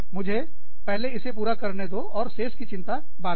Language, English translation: Hindi, Let me, first finish this, and worry about the rest, later